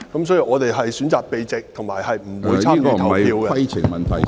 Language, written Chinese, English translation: Cantonese, 所以，我們選擇避席，以及不會參與投票。, Therefore we choose to withdraw from the meeting during the discussion and we will abstain from the voting